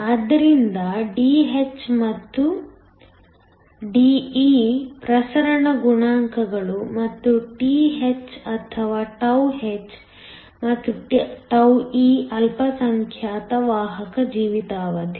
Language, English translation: Kannada, So, Dh and De are diffusion coefficients and Th or τh and τe are the minority carrier lifetime